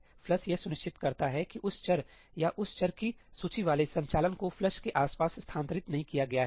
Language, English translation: Hindi, ëflushí ensures that operations involving that variable or that list of variables is not moved around the flush